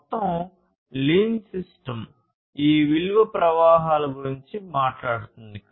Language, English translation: Telugu, So, the overall lean system talks about this value, value streams